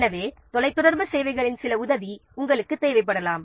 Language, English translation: Tamil, So, you may require some help of telecommunication services